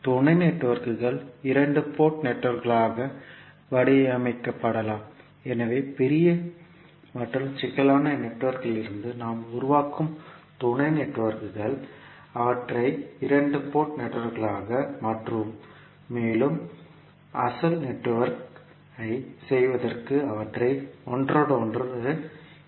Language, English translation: Tamil, The sub networks can be modelled as two port networks, so the sub networks which we create out of the large and complex network, we will convert them as a two port network and we will interconnect them to perform the original network